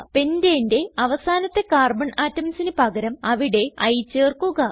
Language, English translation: Malayalam, Replace the terminal Carbon atoms of Pentane with I